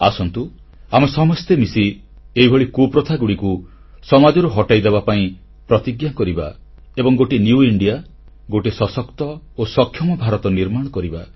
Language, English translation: Odia, Come, let us pledge to come together to wipe out these evil customs from our social fabric… let us build an empowered, capable New India